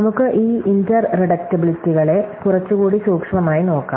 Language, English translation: Malayalam, So, let us look at these inter reducibilityÕs a little more closely